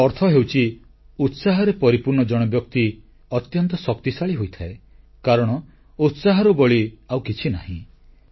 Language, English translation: Odia, This means that a man full of enthusiasm is very strong since there is nothing more powerful than zest